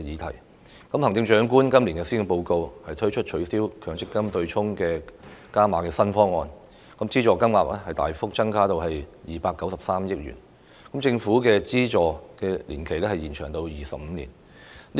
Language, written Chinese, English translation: Cantonese, 行政長官在去年的施政報告提出取消強積金對沖機制的"加碼"新方案，資助金額大幅增加至293億元，資助年期亦延長至25年。, In the Policy Address last year the Chief Executive put forward a new proposal with greater financial commitment made by the Government for abolishing the MPF offsetting mechanism . The amount of subsidy will be substantially increased to 29.3 billion and the subsidy period will be extended to 25 years